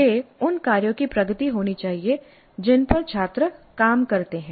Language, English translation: Hindi, That should be the progression of the tasks on which the students work